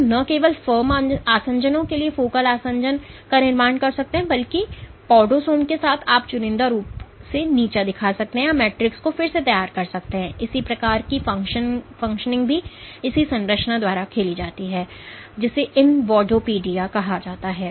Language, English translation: Hindi, So, not only to the form adhesions focal adhesions can form adhesions, but with podosomes you can selectively degrade or remodel the matrix similar function is also played by this structure called invadopodia